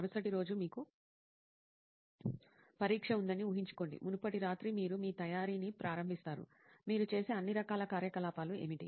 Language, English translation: Telugu, Imagine you have an exam the next day, the previous night you are starting your preparation, what all kind of activities that you do